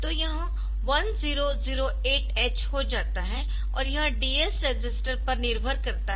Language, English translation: Hindi, So, this becomes 1008 x and then it depends on the DS register